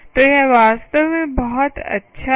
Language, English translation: Hindi, so thats really very good, right